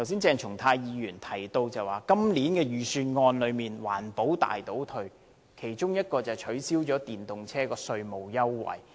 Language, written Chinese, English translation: Cantonese, 鄭松泰議員剛才提到今年的預算案是環保大倒退，其中一項便是降低電動車的稅務優惠。, Dr CHENG Chung - tai said earlier that the Budget this year has retrogressed significantly in the work on environmental protection and one of the examples was the reduction of tax waiver for electric cars